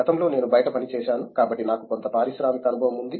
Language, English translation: Telugu, Previously I have actually worked outside, so I have some amount of industrial experience